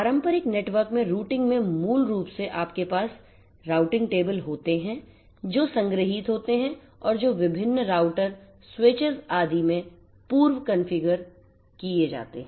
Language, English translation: Hindi, Routing in a traditional network basically you have routing tables which are stored which are pre configured in different different routers, switches and so on